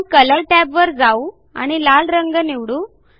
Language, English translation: Marathi, We will go to color, we define it as red